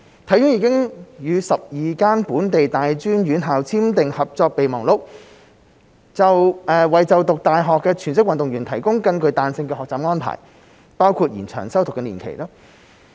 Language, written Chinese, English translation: Cantonese, 體院已與12間本地大專院校簽訂合作備忘錄，為就讀大學的全職運動員提供更具彈性的學習安排，包括延長修讀年期。, It has signed Memoranda of Understanding with 12 local tertiary institutions to provide more flexible learning arrangements for full - time athletes including extension of study periods